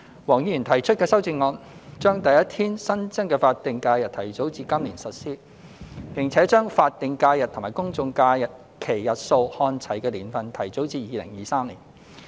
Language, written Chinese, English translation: Cantonese, 黃議員提出的修正案，將第一天新增的法定假日提早至今年實施，並將法定假日及公眾假期日數看齊的年份提早至2023年。, Mr WONGs amendment proposes to advance the implementation of the first additional SH to this year and advance the year of achieving alignment of the number of SHs with general holidays GHs to 2023